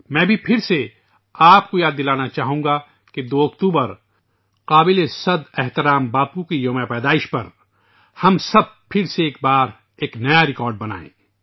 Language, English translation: Urdu, I too would like to remind you again that on the 2 nd of October, on revered Bapu's birth anniversary, let us together aim for another new record